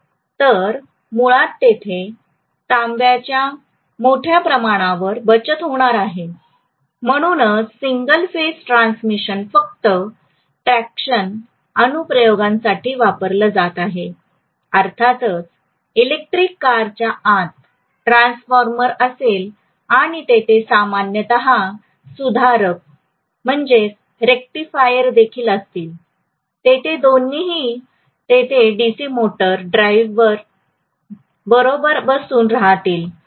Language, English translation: Marathi, So basically it is going to save on huge amount of copper, that is the reason why single phase transmission is being used only for traction application, of course inside the electric car that will be a transformer and there will be a rectifier normally, both will be sitting there along with DC motor drive that is how the entire thing is driven